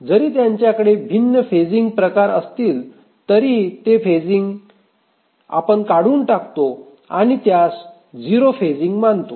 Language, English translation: Marathi, Even if they have different phasing we just remove the phasing and consider there is to be zero phasing